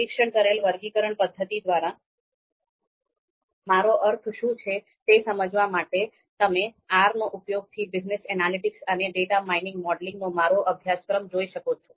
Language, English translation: Gujarati, If you want to understand what we mean by supervised classification method, then again you can refer back to my course on ‘Business Analytics and Data Mining Modeling using R’